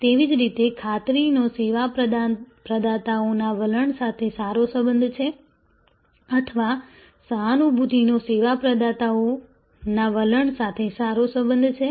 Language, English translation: Gujarati, Similarly, assurance has a high correlation with the service providers attitude or empathy has a high correlation with service providers attitude